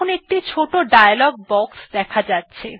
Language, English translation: Bengali, Now a small dialog box comes up